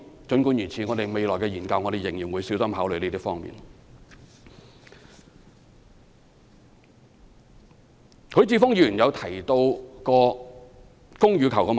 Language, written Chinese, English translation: Cantonese, 儘管如此，我們未來的研究仍然會小心考慮這些方面的問題。, Yet we will continue to carefully consider these issues in our future studies